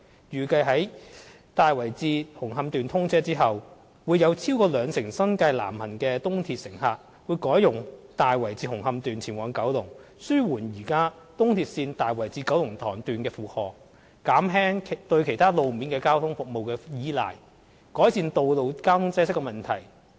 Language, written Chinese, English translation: Cantonese, 預計在"大圍至紅磡段"通車後，會有超過兩成新界南行的東鐵乘客改用"大圍至紅磡段"前往九龍，紓緩現時東鐵線大圍至九龍塘段的負荷，減輕對其他路面交通服務的倚賴，改善道路交通擠塞問題。, It is anticipated that after the commissioning of the Tai Wai to Hung Hom Section more than 20 % of south - bound commuters who take the East Rail will switch to travel to Kowloon via the Tai Wai to Hung Hom Section . This will ease the current burden of the Tai Wai - Kowloon Tong Section of the East Rail reduce the reliance on other modes of ground transportation and improve the traffic congestion problem